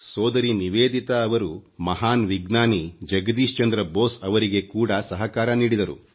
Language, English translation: Kannada, Bhagini Nivedita ji also helped the great scientist Jagdish Chandra Basu